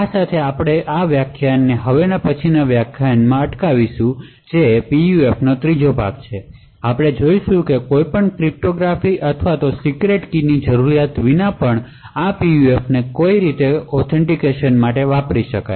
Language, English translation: Gujarati, So with this we will stop this lecture, in the next lecture which is a third part of PUF, we will look at how these PUFs could be used to have an authentication without the need for any cryptography or secret keys